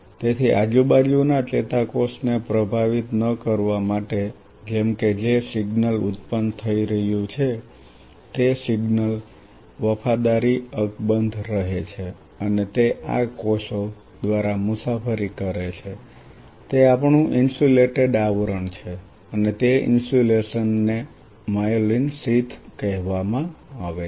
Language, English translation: Gujarati, So, as for them not to influence the surrounding neuron such that the signal which is being generated the signal fidelity remains intact and it travels through these cells have our insulated covering and that insulation is called myelin sheath